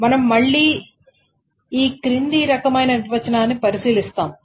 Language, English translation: Telugu, So again we will consider this following kind of definition